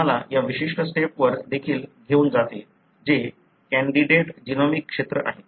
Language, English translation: Marathi, So, that also takes you to this particular step that is to candidate genomic region